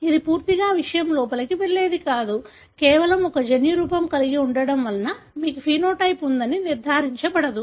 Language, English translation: Telugu, It is not fully penetrant; just having a genotype doesn’t ensure that you would have the phenotype